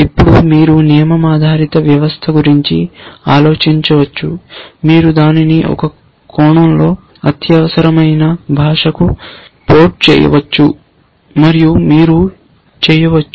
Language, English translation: Telugu, Now, you can think of a rule based system, you can in some sense port it to an imperative language and you can